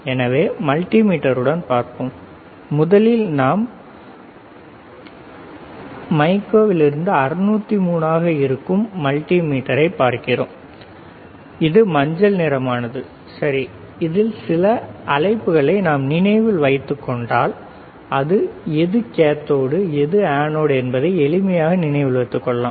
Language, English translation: Tamil, So, let us see with multimeter, first we are looking at the multimeter which is 603 from mico this is yellowish one, yellow colour and let us see the which is anode, which is cathode it is easy to identify if we can see some value yes, right